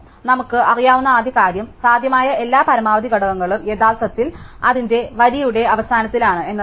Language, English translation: Malayalam, So, the first thing we do know is that every possible maximum element is actually at the end of its row